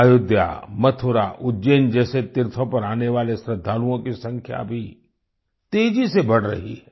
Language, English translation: Hindi, The number of devotees visiting pilgrimages like Ayodhya, Mathura, Ujjain is also increasing rapidly